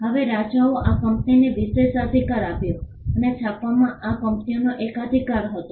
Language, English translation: Gujarati, Now, the king granted the privilege to this company and this company had a monopoly in printing